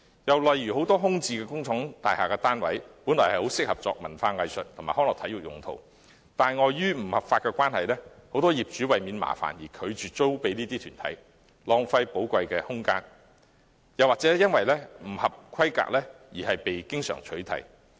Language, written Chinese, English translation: Cantonese, 又例如很多空置工廠大廈單位原本很適合作文化藝術及康樂體育用途，但礙於法例規定，不少業主為免麻煩而拒絕出租予這些團體，浪費寶貴空間；亦經常有單位因為不合規格而被取締。, are very often passing the buck to each other . In many cases vacant factory units are originally very suitable for cultural arts recreational and sports purposes . However subject to legal requirements some owners have refused to lease them to such groups to avoid getting involved in trouble resulting in wastage of valuable spaces